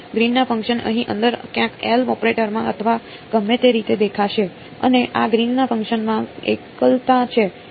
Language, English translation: Gujarati, Green’s functions will appear inside here somewhere in the L operator or whatever, and these greens functions has singularities